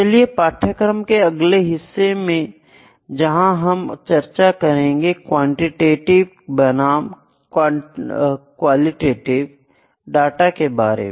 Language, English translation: Hindi, I will move to the next part qualitative versus quantitative data